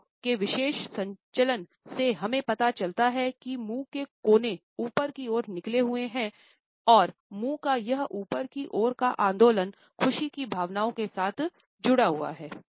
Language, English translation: Hindi, During this particular movement of the mouth we find that corners of the mouth at turned upwards and this upward movement of the mouth is associated with emotions of happiness